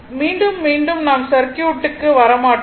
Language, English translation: Tamil, Again and again I will not come to the circuit